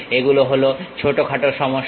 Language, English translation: Bengali, These are the minor issues